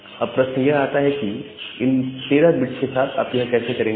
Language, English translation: Hindi, So, the question comes that with this 13 bit, how will you do that